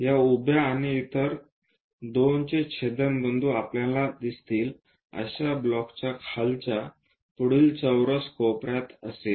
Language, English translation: Marathi, The intersection of this vertical and two others would be at lower front corner of a block with square corners we will see